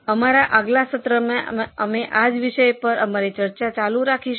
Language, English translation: Gujarati, In our next session, we will continue our discussion on the same topic